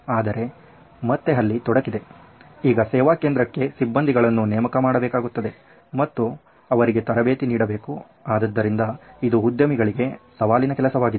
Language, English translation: Kannada, But again there is a catch there, now I will have to staff them and I will have to train them so these are challenges for this entrepreneurs